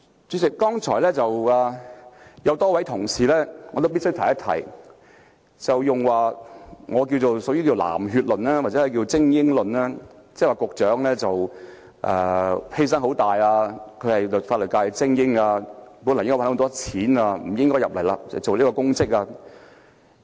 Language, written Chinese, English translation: Cantonese, 主席，我必須指出，有多位同事剛才提出我形容為"藍血論"或"精英論"，說司長作出了很大犧牲，她是法律界的精英，本來可以賺很多錢，不應該投身公職。, President I must point out that a number of Honourable colleagues earlier advanced an argument which I would describe as the blue blood theory or the elite theory saying that the Secretary for Justice had made a huge sacrifice as she being an elite member of the legal profession could have made a lot of money and that she should not have gone into public office